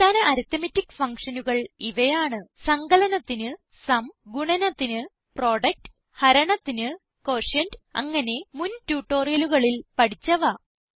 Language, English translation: Malayalam, Basic arithmetic functions include SUM for addition, PRODUCT for multiplication, QUOTIENT for division and many more which we have already learnt in the earlier tutorials